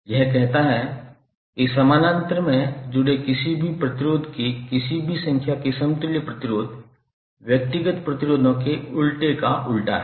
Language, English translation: Hindi, This says that equivalent resistance of any number of resistors connected in parallel is the reciprocal of the reciprocal of individual resistances